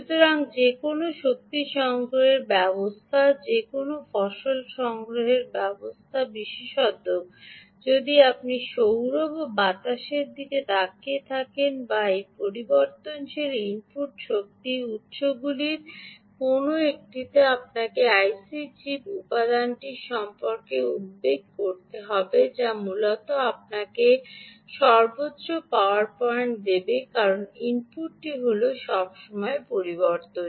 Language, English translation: Bengali, so any energy harvesting system, any, any harvesting system, particularly if you are looking at solar or wind or any one of these variable input energy sources, you will have to worry about the i c chip component, which, essentially, will give you maximum power point, because the input is all the time changing